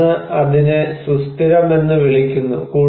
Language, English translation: Malayalam, Then, we call it as sustainable